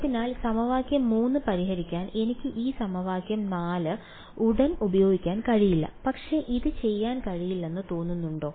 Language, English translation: Malayalam, So, I cannot immediately use this equation 4 to solve equation 3, but does it look impossible to do